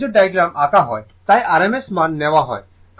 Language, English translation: Bengali, This is phasor diagram is drawn, that is why rms value is taken, right